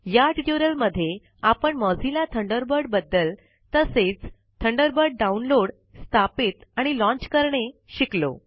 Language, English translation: Marathi, In this tutorial we learnt about Mozilla Thunderbird and how to download, install and launch Thunderbird